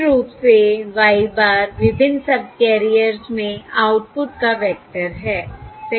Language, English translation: Hindi, Basically, y bar is the vector of outputs across the various subcarriers, correct